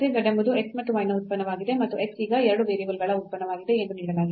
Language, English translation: Kannada, So, again next problem here z is a function of x and y and further it is given that x is a function of 2 variables now